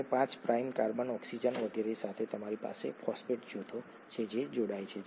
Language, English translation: Gujarati, And to the 5 prime carbon, oxygen and so on, you have phosphate groups that gets attached